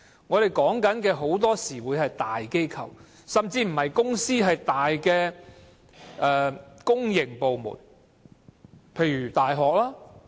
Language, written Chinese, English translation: Cantonese, 我所說的很多時是在大機構，甚至不是公司而是大型公營部門，例如大學。, The cases that I am referring to very often happened in big corporations or big public bodies such as universities . Some universities have recently fired a number of teaching staff